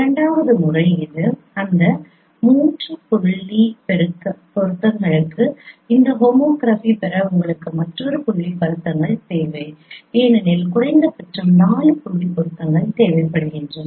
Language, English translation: Tamil, The second method is that that for that three point correspondences you require another point correspondences from from which you can get this nomography because minimum four point correspondences are required